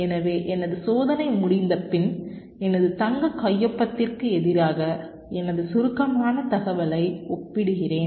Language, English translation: Tamil, so after my test experiment is done, i compare my compacted information against my golden signature